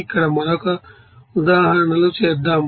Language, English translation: Telugu, Now, let us do another examples here